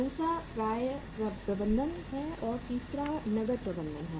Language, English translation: Hindi, Second is the receivables management and third one is the cash management